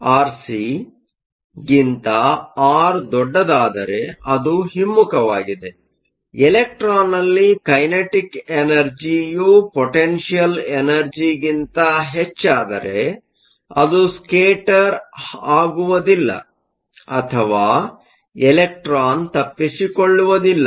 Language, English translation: Kannada, If r is greater than r c, it is the reverse; the kinetic energy will be greater than the potential energy in the electron will not scatter or the electron will escape